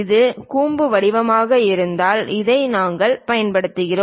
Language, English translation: Tamil, If it is conical kind of taper we use this one